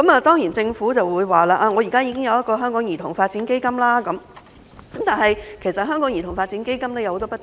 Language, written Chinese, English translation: Cantonese, 當然，政府會說，現時已設有兒童發展基金，但這項基金也有很多不足之處。, The Government will certainly say that the Child Development Fund has been in place . However there are a lot of inadequacies in this fund